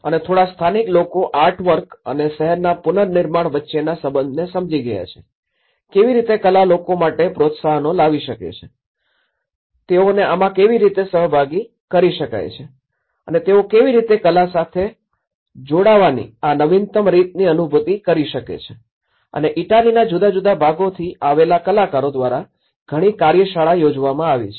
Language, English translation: Gujarati, And the locals, few locals have understood the connection between the artwork and the reconstruction of the city, how art can actually bring encouragements with the people, how they can engage them in the participatory ways and you know, how they can realize this innovative way of connecting with the art and many workshops have been conducted by the artists coming from different parts of Italy